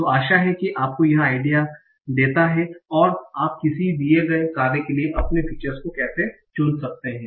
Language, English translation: Hindi, So this gives you some idea on how can we choose your features for a given task